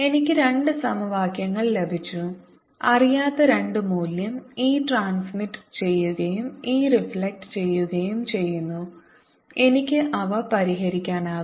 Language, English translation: Malayalam, i have got an two equations to unknowns e transmitted and e reflected, and i can solve for them